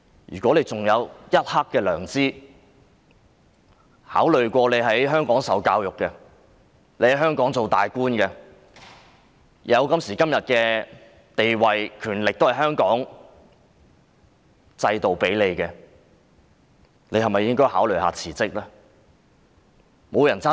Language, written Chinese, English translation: Cantonese, 如果她還有一點良知，考慮到自己是在香港受教育、當高官，她有今時今日的地位和權力也是拜香港制度所賜，她應否考慮辭職？, If she still has a bit of conscience taking into account the fact that she received education and became a high - ranking official in Hong Kong and her present position and power are attributable to the system in Hong Kong should she not consider her resignation?